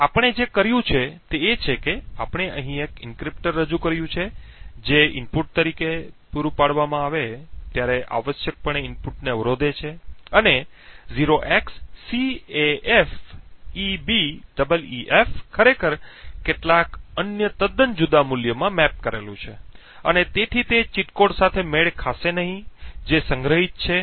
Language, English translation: Gujarati, Now what we have done is we have introduce an encryptor over here which essentially obfuscates the input and 0xCAFEBEEF when supplied as an input is actually mapped to some other totally different value and therefore will not match the cheat code which is stored and therefore the attacker will not be able to control this multiplexer as per the wishes